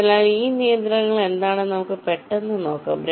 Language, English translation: Malayalam, so let us quickly see what are these constraints